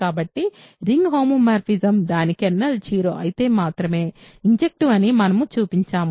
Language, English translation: Telugu, So, we have shown that a ring homomorphism is injective if and only if its kernel is 0